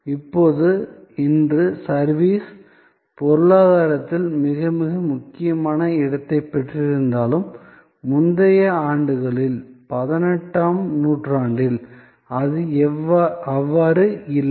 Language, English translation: Tamil, Now, though today, service has very paramount, very prominent position in the economy, in the earlier years, in 18th century, it was not so